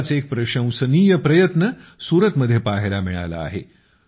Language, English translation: Marathi, One such commendable effort has been observed in Surat